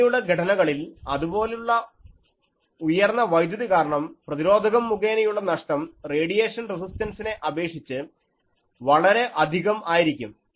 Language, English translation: Malayalam, In those structures, because of such high current that ohmic losses are much larger than the radiation resistant